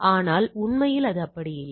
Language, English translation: Tamil, But in reality, it is not like that right